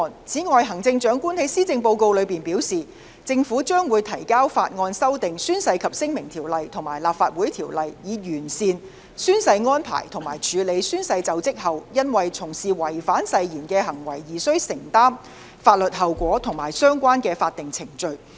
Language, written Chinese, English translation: Cantonese, 此外，行政長官在施政報告中表示，政府將會提交法案修訂《宣誓及聲明條例》和《立法會條例》，以完善宣誓安排及處理宣誓就職後，因從事違反誓言的行為而須承擔的法律後果和相關的法定程序。, Furthermore the Chief Executive has announced in the Policy Address that the Government would introduce a bill to amend the Oaths and Declarations Ordinance and the Legislative Council Ordinance in order to enhance the oath - taking arrangements and to deal with those who have engaged in conduct that breaches the oath after swearing - in as well as the legal consequences and the relevant statutory procedures involved